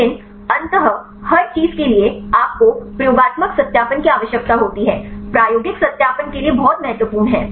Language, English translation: Hindi, But eventually for everything you need the experimental validation; this is very important to have the experimental validation